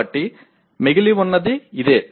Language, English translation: Telugu, So what remains is this